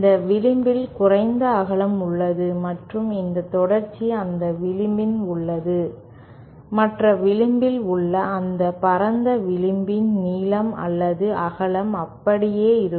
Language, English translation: Tamil, This edge has a lesser width and this continuity is along that edge, the other edge that length or width of the other of the broader edge remains the same